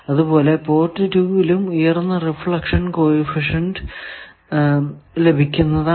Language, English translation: Malayalam, Similarly in port 2 you connect high reflection coefficient